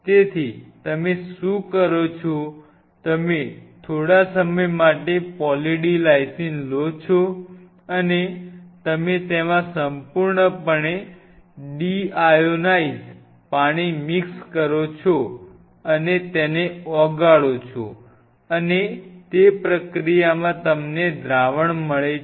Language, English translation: Gujarati, So, what you do is you take Poly D Lysine in a while you mix deionized water into it and you dissolve it thoroughly and, in that process, you get a solution